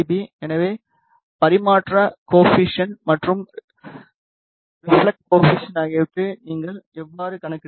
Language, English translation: Tamil, So, this is how you calculate the transmission coefficient and reflection coefficient